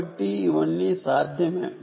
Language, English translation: Telugu, so all of this is possible